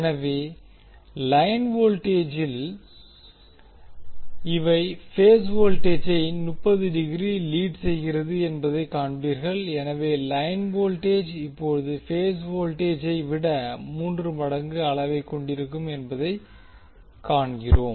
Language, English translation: Tamil, So in the line voltage you will see that these are leading with respect to their phase voltages by 30 degree, so we also see that the line voltage is now root 3 times of the phase voltage in magnitude